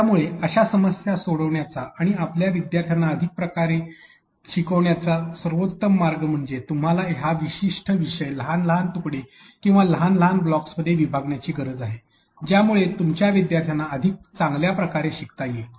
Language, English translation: Marathi, So, the best way to be able to solve such a problem and allow your students to be able to learn better is that you need to break this particular unit, this particular topic into smaller smaller chunks or smaller smaller blocks that will allow your students be able to learn better and this is how it can be done